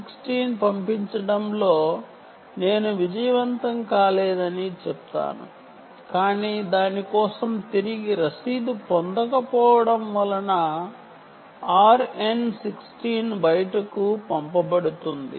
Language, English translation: Telugu, i would say: not unsuccessful in sending out an r n sixteen but not getting an acknowledgement back for its sent out r n sixteen because of collision, it can attempt here